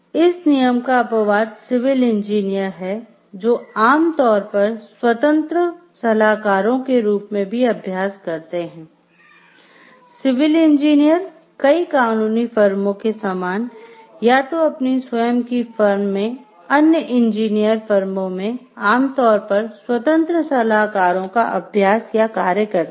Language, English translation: Hindi, The exception to this rule is civil engineers, who generally practice in independent consultants, either in their own or an engineer firms similar to many law firms so, civil engineers are generally practices independent consultants